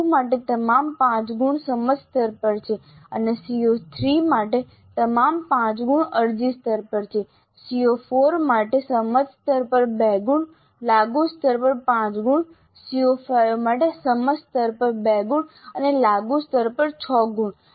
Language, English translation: Gujarati, For CO2 all the 5 marks are at understand level and for CO3 all the 5 marks are at apply level and for CO4 2 marks are at understand level and 5 marks are at apply level and for CO5 2 marks at understand level and 6 marks at apply level